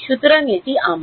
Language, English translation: Bengali, So, this is my